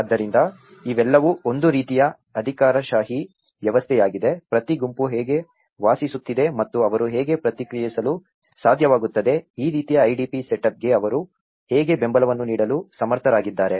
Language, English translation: Kannada, So, these are all a kind of bureaucratic system, how each group is living and how they are able to response, how they are able to give support for this kind of IDP setup